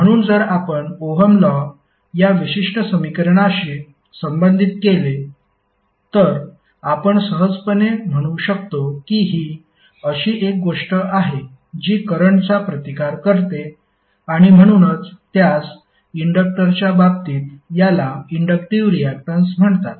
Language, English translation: Marathi, So if you correlate that Ohm's law with this particular equation, you can easily say that this is something which resist the flow and that is why it is called inductive reactance in case of inductor